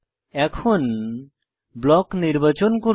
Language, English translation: Bengali, Let us select Block